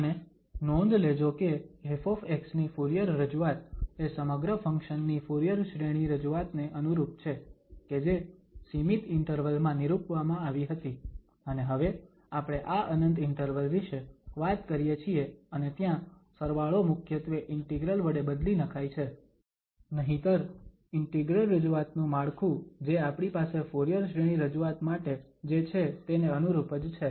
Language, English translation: Gujarati, And note that this Fourier representation of f x is entirely analogous to the Fourier series representation of the function which was defined in finite interval and now we are talking about this infinite interval and there the summation is mainly is replaced by the integrals otherwise the structure of the integral representation is just analogous to what we have for the Fourier series representation